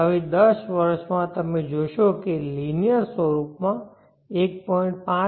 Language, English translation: Gujarati, Now in 10 years you will see this is going in a linear fashion 1